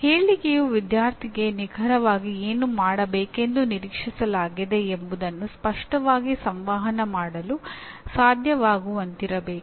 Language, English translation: Kannada, The statement itself should be able to clearly communicate to the student what exactly the student is expected to do